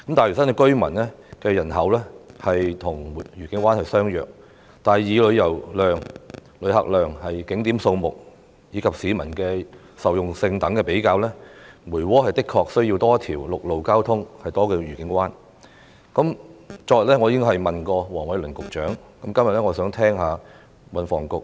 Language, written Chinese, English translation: Cantonese, 大嶼南居民的人口數目和愉景灣相若，但以旅遊活動量、旅客量、景點數目及市民受用性等的比較而言，梅窩對增設一條陸路交通幹道的需求確實較愉景灣為大。, The population of South Lantau is comparable to that of Discovery Bay but when it comes to the comparisons made in such aspects as the intensity of tourism activities passenger volume the number of tourist attractions and usability there is indeed a greater need to provide an additional land trunk road in Mui Wo than in Discovery Bay